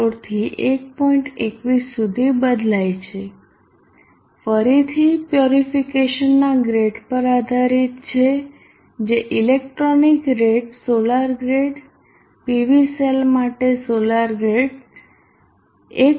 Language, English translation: Gujarati, 21 again depends upon the grade of purification whether it is electronic rate solar grade the solar grade for PV cells will be more closer to 1